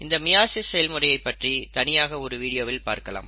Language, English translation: Tamil, We will talk about meiosis in a separate video